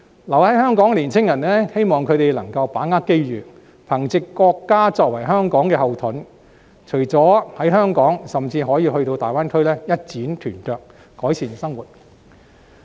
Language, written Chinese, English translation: Cantonese, 留在香港的年青人，希望他們能夠把握機遇，憑藉國家作為香港的後盾，除了在香港甚至也可到大灣區一展拳腳，改善生活。, As for young people who stay in Hong Kong I hope they will seize the opportunity leverage the advantage of having the backing from the country and endeavour to pursue career development in not only Hong Kong but also the Greater Bay Area so as to improve their livelihood